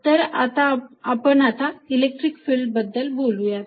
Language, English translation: Marathi, So, what we are going to now talk about is the electric field